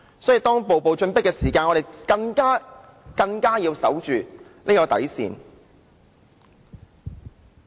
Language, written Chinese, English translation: Cantonese, 所以，當人家步步進迫，我們便更要守着這條底線。, For this reason when facing with increasing attacks we need to defend this bottom line